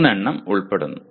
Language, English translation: Malayalam, There are three